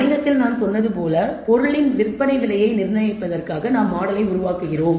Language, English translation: Tamil, Like I said in the business case we are developing the model in order to determine set the price selling price of the thing